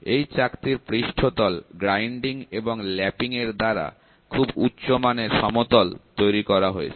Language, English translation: Bengali, The surface of the disk is ground and lapped to a high degree of flatness